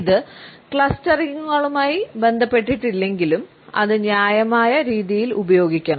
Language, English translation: Malayalam, Even though it is not associated with clusterings, it should be used in a judicious manner